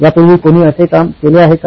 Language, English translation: Marathi, Has anybody done work like this before